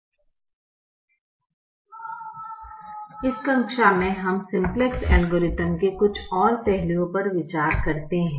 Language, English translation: Hindi, in this class we consider some more aspects of the simplex algorithm